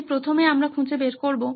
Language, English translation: Bengali, So first we find out